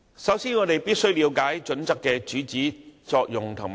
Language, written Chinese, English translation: Cantonese, 首先，我們必須了解《規劃標準》的主旨、作用及局限。, First of all we must get a good grasp of the purpose functions and limitations of HKPSG